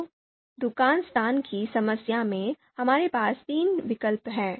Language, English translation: Hindi, So shop allocation problem that we have discussed